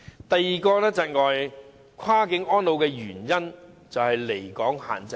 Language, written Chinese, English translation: Cantonese, 第二個窒礙跨境安老的原因是離港限制。, The second factor which hinders cross - boundary elderly care is the limit on absence from Hong Kong